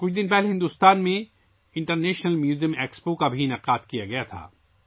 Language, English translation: Urdu, A few days ago the International Museum Expo was also organized in India